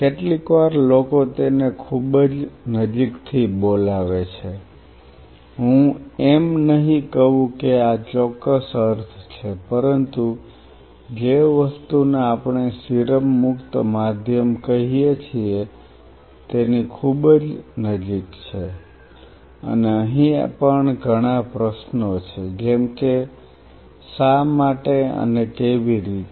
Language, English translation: Gujarati, Sometimes people call it also very close to I would not say that this is the exact meaning, but very close to something we call as serum free medium, and here also there are a couple of questions which comes is why and how